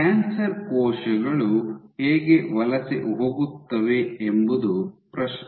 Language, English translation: Kannada, So, the question is how will then cancer cells migrate